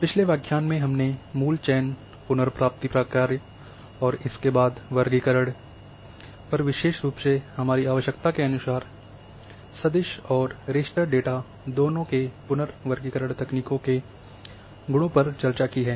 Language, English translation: Hindi, In the previous lecture we have discussed the basic selection retrieval functions and later on the classification especially the reclassification techniques of both vector and raster data as per our requirement based on their attributes